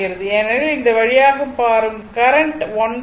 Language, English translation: Tamil, So, current will flow like this